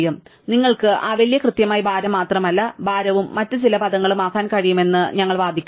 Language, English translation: Malayalam, Well, we could argue with that you can make that cost to be not just exactly the weight, but the weight plus some other term